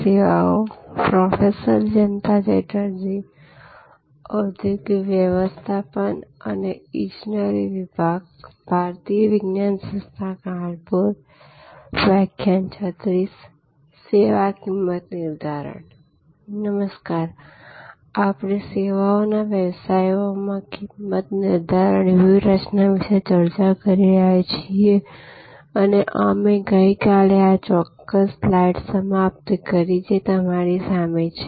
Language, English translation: Gujarati, Hello, so we are discussing pricing strategies in services businesses and we concluded yesterday with this particular slide, which is in front of you